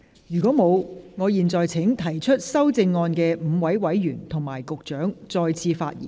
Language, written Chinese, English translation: Cantonese, 如果沒有，我現在請提出修正案的5位委員及局長再次發言。, If not I now call upon the five Members who have proposed amendments and the Secretary to speak again